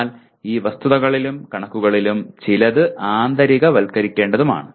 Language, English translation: Malayalam, But it is some of these facts and figures have to be internalized